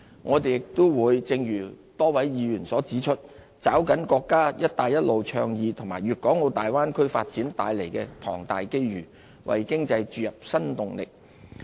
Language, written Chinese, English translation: Cantonese, 我們亦會正如多位議員所指出，抓緊國家"一帶一路"倡議和粵港澳大灣區發展帶來的龐大機遇，為經濟注入新動力。, As suggested by some Members we will also seize the huge opportunities brought by the national Belt and Road Initiative and the Guangdong - Hong Kong - Macao Bay Area development to create new impetus for our economy